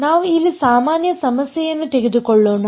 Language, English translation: Kannada, So, let us take a very general problem over here